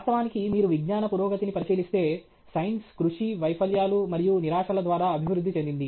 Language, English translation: Telugu, Actually, if you look at the progress of science, science has progressed through hard work, failures, and frustrations